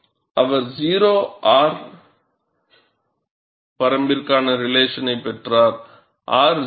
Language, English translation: Tamil, And he had obtained the relation for the range 0, R, R is between 0 and 0